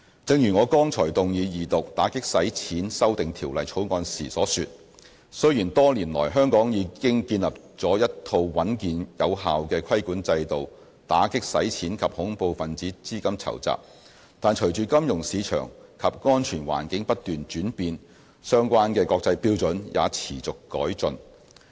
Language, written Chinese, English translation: Cantonese, 正如我剛才動議二讀《2017年打擊洗錢及恐怖分子資金籌集條例草案》時所說，雖然多年來香港已經建立了一套穩健有效的規管制度，打擊洗錢及恐怖分子資金籌集，但隨着金融市場及安全環境不斷轉變，相關的國際標準也持續改進。, As I just said when moving the Second Reading of the Anti - Money Laundering and Counter - Terrorist Financing Amendment Bill 2017 although we have developed a robust and effective regulatory framework over the years for combating money laundering and terrorist financing the international standards have been improving in light of the changing financial market and security landscapes